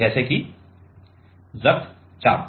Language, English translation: Hindi, Like; blood pressure right